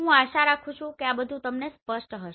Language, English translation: Gujarati, I hope this is clear to you